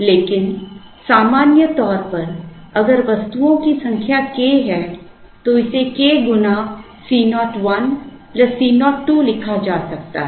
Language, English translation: Hindi, But, then if in general if the number of items is k, then this can be rewritten with k times C 0 1 plus C 0 2